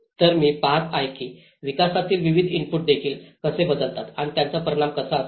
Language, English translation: Marathi, So, I am looking at how different development inputs also vary and how the outcome will be